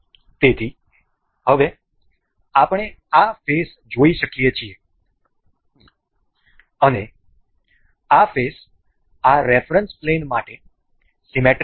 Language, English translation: Gujarati, So, now, we can see this particular face and this face is symmetric about this plane of reference